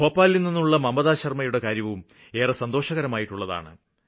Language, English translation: Malayalam, I have been told about Mamta Sharma from Bhopal